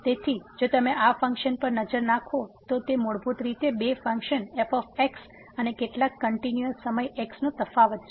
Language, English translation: Gujarati, So, if you take a close look at this function it is a basically difference of two functions and minus some constant times